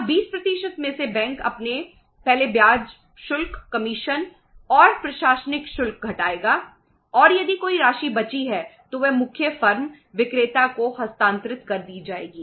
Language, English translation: Hindi, Now out of the 20% bank would say deduct its first interest charges, commission and administrative charges and if any amount is left then that will be transferred to the main firm the seller